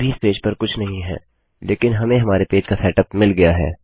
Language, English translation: Hindi, Okay, theres nothing in the page at the moment but weve got our page set up